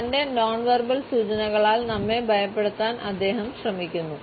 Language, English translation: Malayalam, He is trying to intimidate us with his nonverbals